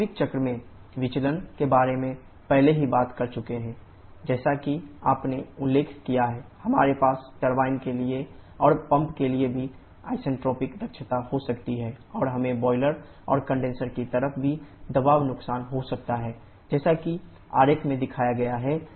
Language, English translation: Hindi, The deviations in actual cycle have already talked about as you have mentioned, we can have isentropic efficiency for turbine and also for the pump and we can also have pressure losses in the boiler and condenser side as shown in the diagram